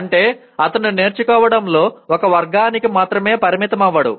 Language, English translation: Telugu, That means he does not stick to one way of learning